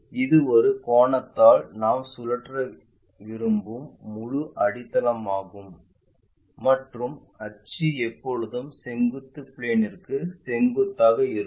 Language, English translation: Tamil, This is entire base we want to rotate it by an angle and axis is always be perpendicular to vertical plane